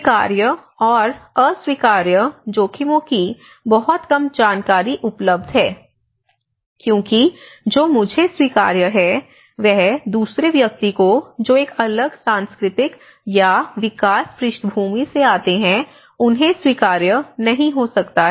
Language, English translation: Hindi, Also, very less is known between the acceptable and unacceptable risks because what is acceptable to me may not be acceptable to the other person who come from a different cultural or a development background